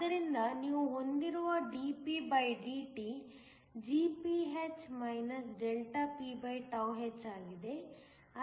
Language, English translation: Kannada, So, that you have dpdt is Gph ph